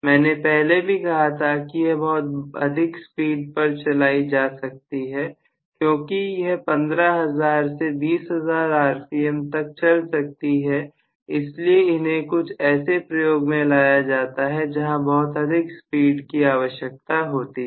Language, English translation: Hindi, I told you that these can run at very very high speeds, because they can run basically at 15000 to 20000 r p m and they are specifically used for certain applications where we require this kind of high speed